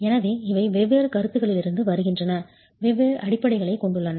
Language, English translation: Tamil, So these are coming from different considerations, have different basis